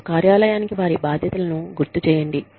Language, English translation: Telugu, And, remind them, of their responsibilities, to the office